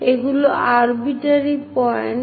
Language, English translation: Bengali, These are arbitrary points